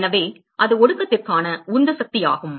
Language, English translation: Tamil, So, that is the driving force for condensation